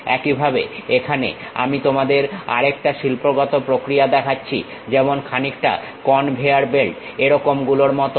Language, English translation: Bengali, Similarly, here I am showing you another industrial process, something like conveyor belts